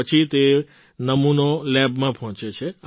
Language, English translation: Gujarati, After that the sample reaches the lab